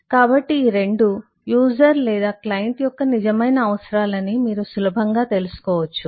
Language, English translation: Telugu, so you can easily make out that both of these are real requirements of the user or the client